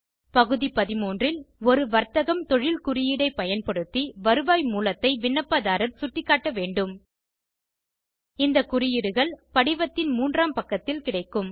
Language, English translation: Tamil, In item 13, applicants must indicate their source of income using a business/profession code These codes are available on page 3 of the form